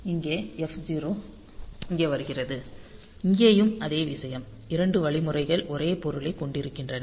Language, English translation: Tamil, So, that f 0 comes here; so, here also the same thing so, two instructions having the same meaning then P0 to P3